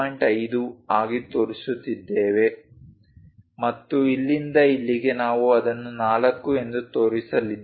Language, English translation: Kannada, 5 units and from here to here, we are going to show it as 4